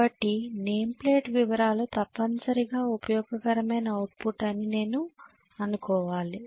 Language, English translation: Telugu, So I should assume that the name plate details are given that is essentially useful output